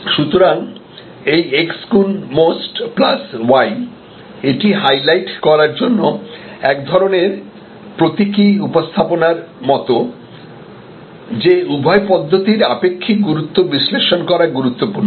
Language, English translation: Bengali, So, if this x into MOST plus y it is just like a kind of a symbolic presentation to highlight, that the relative importance of both approaches are important to analyze